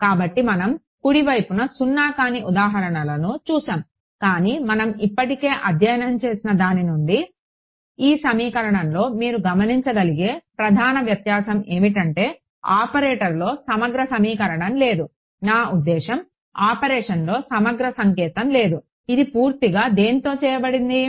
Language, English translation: Telugu, So, we have seen examples of non zero on the right hand side, but the main difference that you can observe in this equation from what we already studied is what there is no integral equation in the operator; I mean there is no integral sign in the operation, it is purely means of what